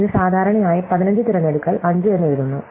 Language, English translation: Malayalam, This is usually written as 15 choose 5, right